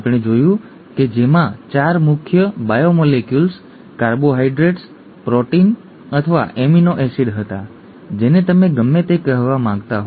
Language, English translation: Gujarati, We saw that there were 4 major biomolecules, carbohydrates, proteins or amino acids, whichever you want to call it